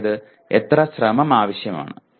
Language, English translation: Malayalam, That is how much effort is needed